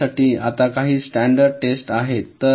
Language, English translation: Marathi, now there are some standard test for randomness